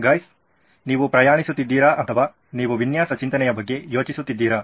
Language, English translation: Kannada, You guys been travelling or you guys have been thinking about design thinking